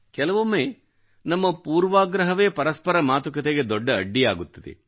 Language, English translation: Kannada, Sometimes our inhibitions or prejudices become a big hurdle in communication